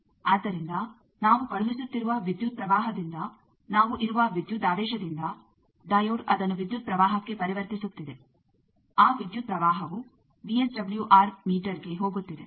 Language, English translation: Kannada, So, from the current we are sending from the voltage we are the diode is converting that to the current, that current is going and to the VSWR meter